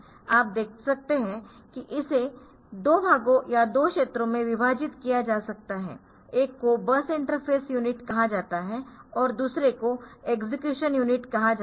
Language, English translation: Hindi, be broadly divided into 2 parts or 2 regions one is called bus interface unit, another is called execution unit